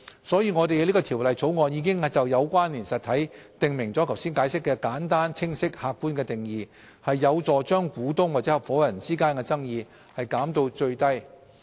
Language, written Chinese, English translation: Cantonese, 所以，我們在《條例草案》已就"有關連實體"訂明了剛才解釋的簡單、清晰而客觀的定義，有助將股東或合夥人間的爭議減到最低。, For this reason we provide a simple clear and objective definition of connected entity which I have just referred to in the Bill . This will help minimize disputes among shareholders or partners